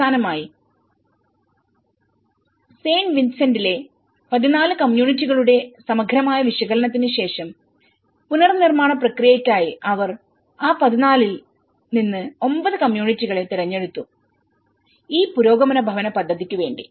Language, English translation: Malayalam, So finally, after having a thorough analysis of the 14 communities in San Vicente they have selected 9 communities within that 14, for the reconstruction process